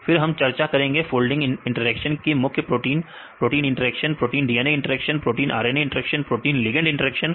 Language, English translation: Hindi, Then we discussed about the folding interactions right mainly protein protein interactions, protein DNA interactions, protein RNA interactions right protein ligand interactions right